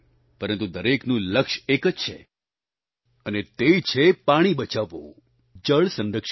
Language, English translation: Gujarati, But the goal remains the same, and that is to save water and adopt water conservation